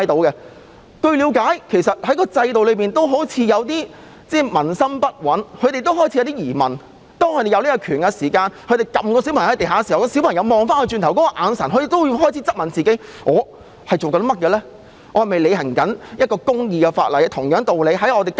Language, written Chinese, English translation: Cantonese, 據了解，警方內部似乎有些軍心不穩，警察行使權力把一個小孩按在地上，看到小孩回望他的眼神時，他會質問自己正在做甚麼，是否正在根據一項公義的法例履行職責。, According to my understanding police morale seems to have been dampened . When a policeman exercised his power to press a child on the ground and met the gaze of the latter he would ask himself what he was doing and whether he was discharging his duties under a just law